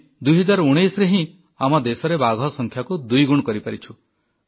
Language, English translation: Odia, We doubled our tiger numbers in 2019 itself